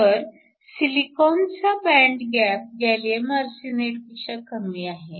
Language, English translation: Marathi, So, silicon actually has a lower band gap than gallium arsenide